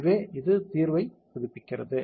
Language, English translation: Tamil, So, it is updating the solution